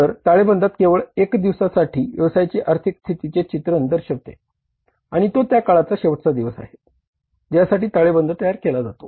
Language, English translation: Marathi, So, balance sheet depicts a picture of the financial position of the business for only one day and that is the last day of that period for which the balance sheet is being prepared